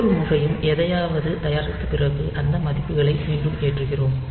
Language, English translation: Tamil, So, every time after producing something again we are loading these values